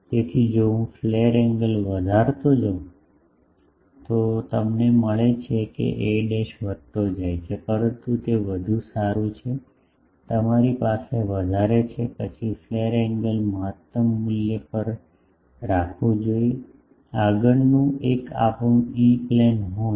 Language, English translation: Gujarati, So, if I go on increasing the flare angle, then you get that a dashed gets increased, but it is better that you have the larger ones, then flare angle should be kept at a optimum value though, the next one is our E plane horn